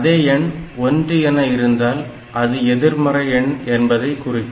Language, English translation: Tamil, If the answer is 1, that means the values are not same